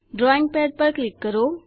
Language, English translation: Gujarati, Click on the drawing pad